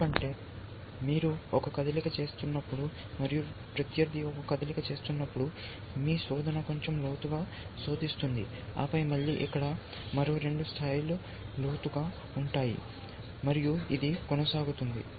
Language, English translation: Telugu, Because you are made one move and opponent is made one move, then your search will now look a little bit deeper, then again here, another two plies deeper and so on